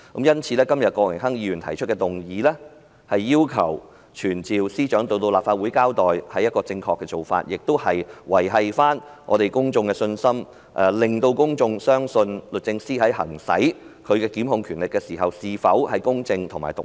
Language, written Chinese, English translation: Cantonese, 因此，今天郭榮鏗議員提出的議案，要求傳召司長到立法會交代，是正確的做法，亦可挽回公眾的信心，令公眾相信律政司在行使其檢控權力時，是否公正及獨立。, For that reason it is absolutely right for Mr Dennis KWOK to propose the motion to summon the Secretary to appear before the Council and give her explanation . In so doing public confidence can be restored and the Administration can assure the public that DoJ is impartial and independent when it exercises its prosecutorial powers